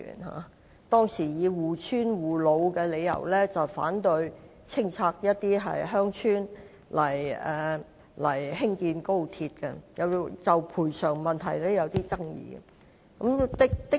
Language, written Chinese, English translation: Cantonese, 他們以護村護老為由，反對清拆鄉村興建高鐵，亦就賠償問題有所爭議。, They strived to protect the village and the elderly people living there . There were also arguments over the compensation